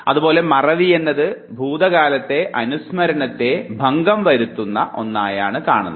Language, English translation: Malayalam, Also forgetting might also represent the distortion of recollection of the past